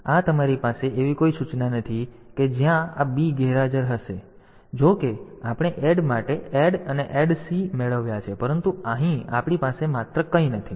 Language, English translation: Gujarati, So, this you do not have any instruction where this b is absent though we for add we have got add and add C, but here we do not have anything only